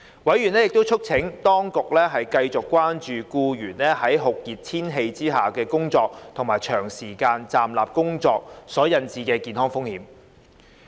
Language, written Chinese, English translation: Cantonese, 委員亦促請當局繼續關注僱員在酷熱天氣下工作及長時間站立工作所引致的健康風險。, Members also urged the authorities to keep in view the health risks of employees working under very hot weather and standing at work